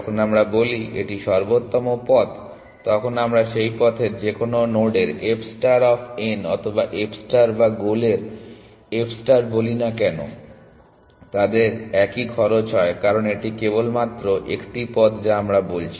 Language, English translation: Bengali, When we say this is optimal path then whether we say f star of n any node on that path or f star of start or f star of goal they have the same cost because this is only one path that we are talking about